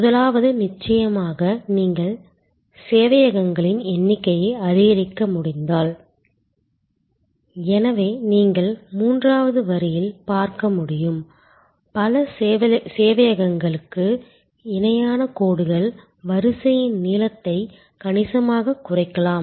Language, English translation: Tamil, The first of course is that, if you can increase the number of serversů So, as you can see in the third line, parallel lines to multiple servers the queue length can be significantly brought down